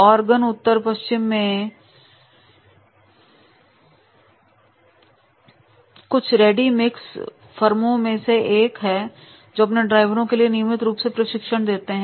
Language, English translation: Hindi, Oregon is one of only a few ready mix firms in the Northwest that provides the regular training for their drivers